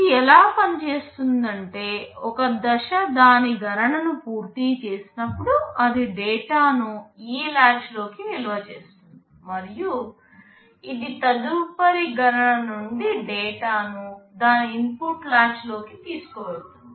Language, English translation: Telugu, Whenever a stage completes its calculation, it will store the data into this latch, and it will take the data from the next competition into its input latch